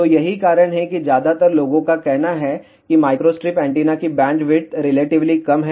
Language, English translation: Hindi, So, that is the reason majority of the time people say bandwidth of the microstrip antenna is relatively small